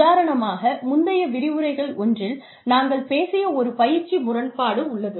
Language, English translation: Tamil, For example, there is a training paradox, that we talked about, in one of the earlier lectures